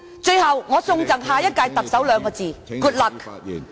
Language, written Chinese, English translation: Cantonese, 最後，我贈送兩個字給下一任特首......, Finally two words for the next Chief Executive Good luck